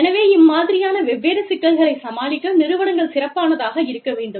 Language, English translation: Tamil, So, the system has to be equipped, to deal with these different complexities